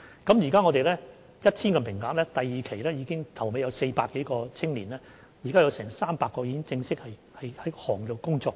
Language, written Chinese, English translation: Cantonese, 我們提供 1,000 個名額，現時是第二年，在400多名參與的青年當中 ，300 名已經正式在業內工作。, We provide a total of 1 000 places and we are now in the second year . Among more than 400 participating youngsters 300 are already formally working in this sector